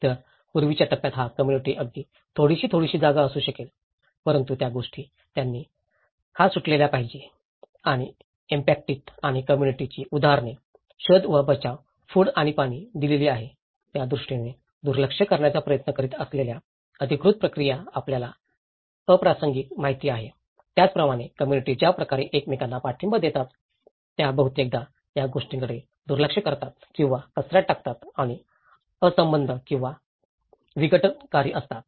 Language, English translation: Marathi, So, in the earlier stage this community could be some places it is very small but the official processes they try to undervalue this and actions by the affected communities or groups examples, search and rescue, given out food and water have been even been viewed as irrelevant you know, so even, the way the community support each other they often tend to ignore or trash these things and irrelevant or disruptive